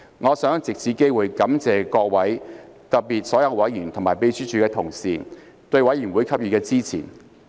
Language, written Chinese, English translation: Cantonese, 我想藉此機會感謝各位，特別是所有委員和秘書處的同事對委員會給予的支持。, I would like to take this opportunity to thank Members and in particular all Committee members and Secretariat colleagues for their support for the Committee